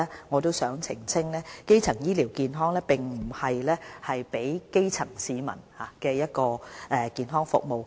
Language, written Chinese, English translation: Cantonese, 我也想先澄清一點，基層醫療健康並非指為基層市民提供的健康服務。, First of all I wish to clarify that primary health care does not mean the health services provided to the grass roots